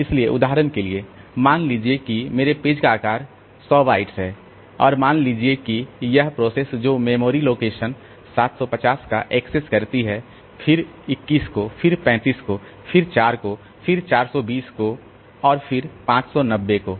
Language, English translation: Hindi, Suppose my page size is 100 bytes and a process, it accesses the memory locations, say 750, then say 21, then say 35, then 4, say 420, then 590